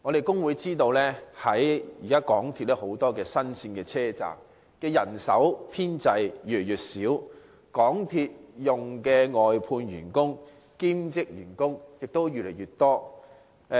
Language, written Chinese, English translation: Cantonese, 工會知道現時港鐵有很多新路線車站，但港鐵人手編制越來越少，但外判員工和兼職員工則越來越多。, The Hong Kong Federation of Trade Unions is aware that many MTR stations are built along new rail lines at present but the manpower establishment of MTRCL has been shrinking while its numbers of outsourced workers and part - time staff are growing